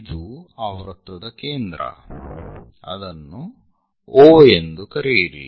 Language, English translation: Kannada, So, this is center of that circle call O